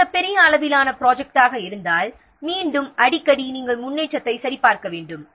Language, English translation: Tamil, If it is a very large size project might be again very frequently you have to check the progress